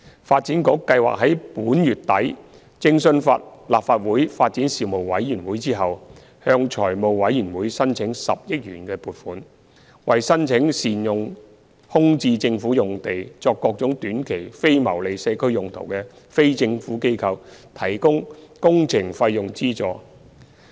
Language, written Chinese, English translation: Cantonese, 發展局計劃在本月底徵詢立法會發展事務委員會後，向財務委員會申請10億元撥款，為申請善用空置政府用地作各種短期非牟利社區用途的非政府機構提供工程費用資助。, The Development Bureau plans to consult the Legislative Councils Panel on Development by the end of this month and then seek the approval of the Finance Committee for the allocation of 1 billion funding to provide subsidies to NGOs in relation to works costs incurred by them in making effective use of vacant government sites for various short - term non - profit making community purposes